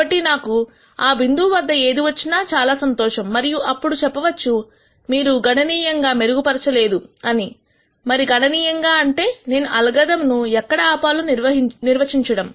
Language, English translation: Telugu, So, I am going to be happy with whatever I get at some point and then say if you do not improve significantly and what is significant is something that you define I am going to stop the algorithm